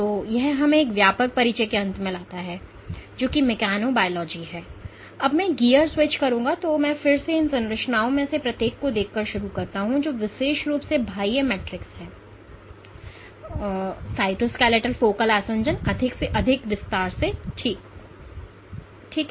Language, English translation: Hindi, So, that brings us to the end of a broad introduction to what is mechanobiology, now I will switch gears and I again get started by looking at each of these structures that is particularly the extracellular matrix, the cytoskeleton the focal adhesion in greater detail ok